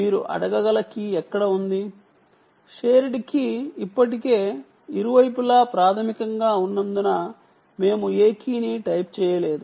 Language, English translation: Telugu, we did not type any key because the shared key is already primed on either side